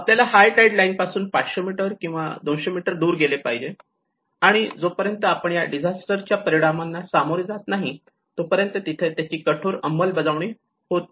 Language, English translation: Marathi, We have to move away from the high tide line 500 meters or 200 meters away so which means there is no strict enforcement of this until we face that impact of the disaster